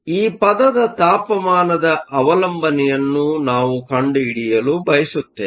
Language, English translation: Kannada, We want to find out the temperature dependence of this term